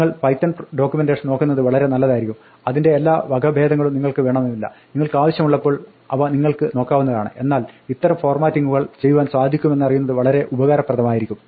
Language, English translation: Malayalam, It is best that you look up python documentation, you may not need all variations of it, the ones that you need you can look up when you need them, but it is useful to know that this kind of formatting can be done